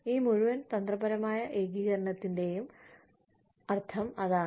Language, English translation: Malayalam, And, that is what, this whole strategic integration means